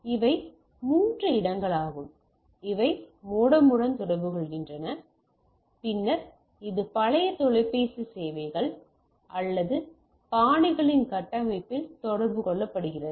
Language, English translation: Tamil, So, these are three locations where these are communicating with the modem and then it is communicate into the plain old telephone services or pots framework or pots backbone